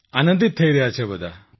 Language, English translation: Gujarati, All are delighted